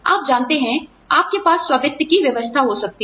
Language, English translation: Hindi, You know, you could have a self funding arrangement